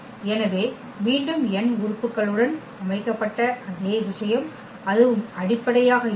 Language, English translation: Tamil, So, again the same thing spanning set with n elements so, that will be also the basis